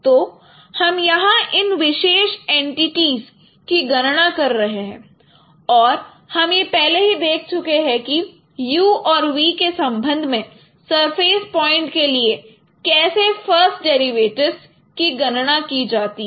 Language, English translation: Hindi, So we are computing this particular entities here and we have already seen how the first derivatives with respect to u and v for surface points could be computed